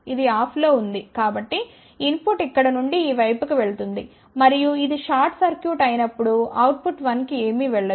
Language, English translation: Telugu, This is off so input will go from here to this side and when this is short circuited nothing will go to output 1